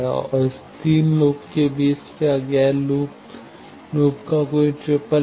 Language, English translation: Hindi, And, among these three loops, is there any triplet of non touching loops